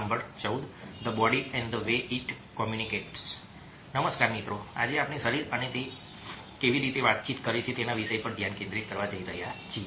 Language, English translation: Gujarati, today we are going to focus on the topic: the body and the way it communicates